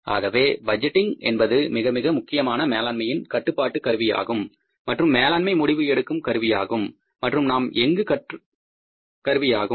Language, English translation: Tamil, So, budgeting is a very, very important management control tool, management decision making tool and we are learning here